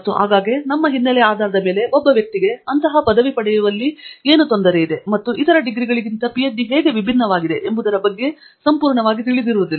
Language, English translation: Kannada, And often based on our background a particular person may not be completely aware of what is involved in getting such a degree and how is it perhaps different from other degrees